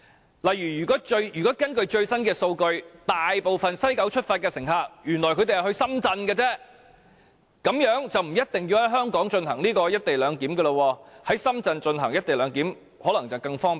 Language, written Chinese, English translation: Cantonese, 舉例而言，如果根據最新數據，大部分由西九出發的乘客原來只是前往深圳，這樣便不一定要在香港進行"一地兩檢"，在深圳進行"一地兩檢"可能會更方便。, For example if according to the latest figures it turns out that most passengers departing from West Kowloon merely head for Shenzhen then it may not be necessary to implement the co - location arrangement in Hong Kong . It may be more convenient to do so in Shenzhen